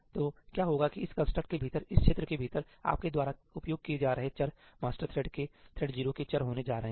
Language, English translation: Hindi, So, what will happen is that within this construct, within this region, the variables that you are access are going to be the variables of thread 0, of the master thread